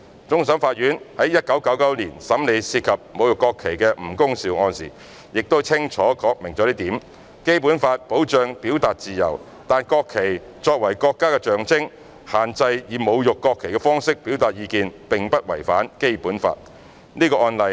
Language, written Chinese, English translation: Cantonese, 終審法院於1999年審理涉及侮辱國旗的吳恭劭案時，已清楚確立這一點︰《基本法》保障表達自由，但國旗作為國家的象徵，限制以侮辱國旗方式表達意見並不違反《基本法》。, When hearing the case of NG Kung - siu in 1999 involving desecration of the national flag the Court of Final Appeal has clearly established that The freedom of expression is protected by the Basic Law but given that the national flag is the symbol of the country the restriction on expressing opinions by way of insulting the national flag does not constitute a violation of the Basic Law